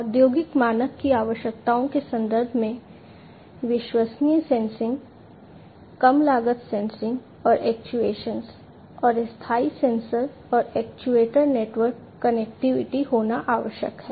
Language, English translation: Hindi, In terms of the requirements for industrial standard, it is required to have reliable sensing, low cost sensing and actuation, and perpetual sensor and actuator network connectivity